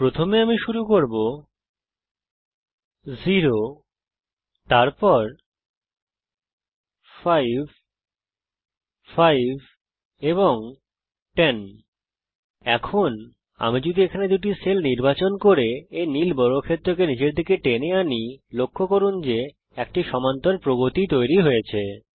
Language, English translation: Bengali, First I will start with 0, then 5, 5 and 10 Now if I select the two cells here and then drag this blue square all the way down, notice an arithmetic progression is created